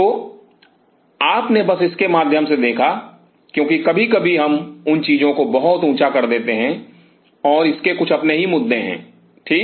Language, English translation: Hindi, So, you just looked through it because sometimes we make those items pretty tall and it has it is own set of issues ok